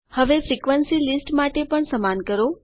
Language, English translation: Gujarati, Now for the frequency list do the same thing